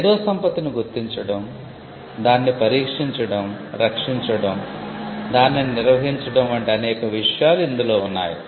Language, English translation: Telugu, It includes many things like identifying intellectual property, screening intellectual property, protecting intellectual property, maintaining IP as well